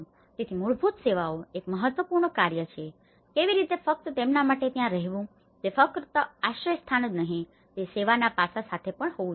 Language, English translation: Gujarati, So, basic services is an important task, how in order to just live there for them it is not just only a shelter, it also has to be with service aspect